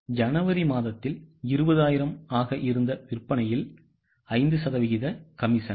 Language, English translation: Tamil, So, on the sales which was 20,000 in the month of January, 5% commission